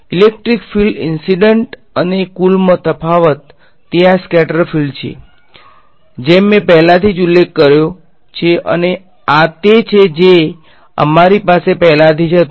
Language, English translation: Gujarati, So, the difference in the electric field incident and total is this is the scattered field as I already mentioned and this is what we already had ok